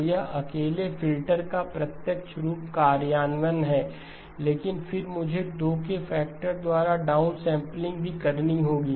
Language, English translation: Hindi, So this is the direct form implementation of the filter alone, but then I also have to have the down sampling by a factor of 2